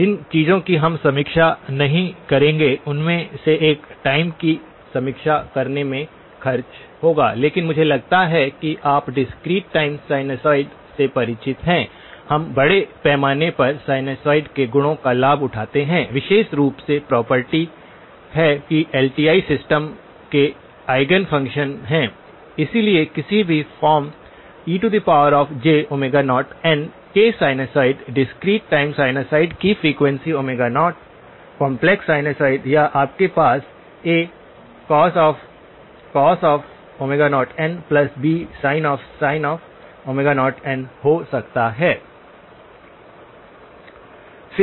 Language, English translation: Hindi, One of the things that we will not review spend time reviewing but I am I will assume that you are familiar with is discrete time sinusoids, we do extensively leverage the properties of sinusoids particularly the property that they are Eigen functions of LTI systems, so any sinusoid of the form c e power j omega naught n discrete time sinusoids of a frequency omega naught, complex sinusoid or you can have a times cosine omega naught n or b times sin omega naught n